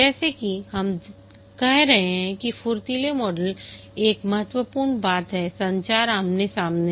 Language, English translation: Hindi, As we are saying that the agile model, one important thing is face to face communication